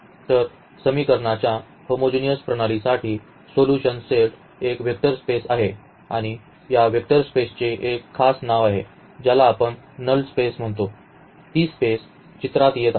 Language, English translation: Marathi, So, for the homogeneous system of equations the solution set is a vector space and this vector space has a special name which we call as null space that is what this space coming into the picture